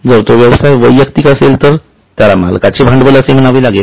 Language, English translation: Marathi, If it is a proprietary concern with a single owner, it will be called as a proprietor's capital